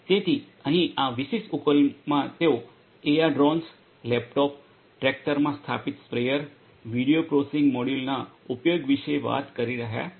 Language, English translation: Gujarati, So, here in this particular solution they are talking about the use of AR Drones, laptops, a sprayer installed in the tractor, video processing modules